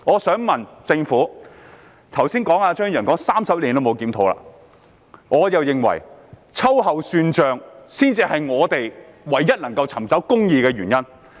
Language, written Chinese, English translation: Cantonese, 張宇人議員剛才說 ，30 年來也沒有進行檢討，而我認為秋後算帳才是我們唯一能夠尋找公義的方法。, Mr Tommy CHEUNG remarked just now that no review had ever been conducted in the past 30 years and I think to settle scores with them is the only way that we can seek justice